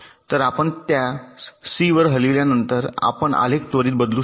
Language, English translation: Marathi, ok, so after you move it to c, your graph immediately changes